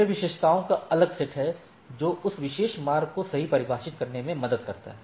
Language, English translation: Hindi, So, this is different set of attributes helps in defining that particular path right